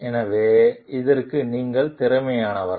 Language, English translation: Tamil, So, and whether you are competent for it